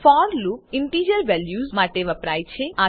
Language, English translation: Gujarati, Recall that the for loop is used for integer values